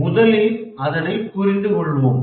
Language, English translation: Tamil, Let's first get to understand the crisis